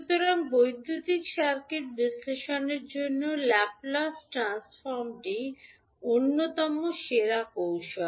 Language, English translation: Bengali, So, the Laplace transform is considered to be one of the best technique for analyzing a electrical circuit